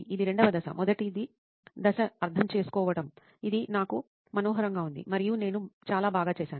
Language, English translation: Telugu, That is the second phase, first phase was empathize which I lovely and I did it very well